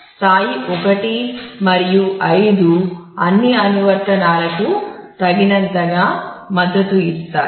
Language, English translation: Telugu, Since level 1 and 5 adequately support all applications